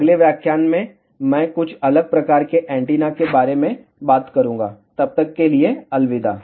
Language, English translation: Hindi, In the next lecture, I will talk about some different types of antennas